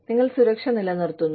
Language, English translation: Malayalam, You maintain security